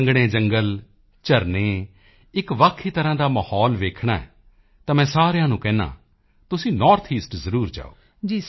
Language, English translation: Punjabi, Dense forests, waterfalls, If you want to see a unique type of environment, then I tell everyone to go to the North East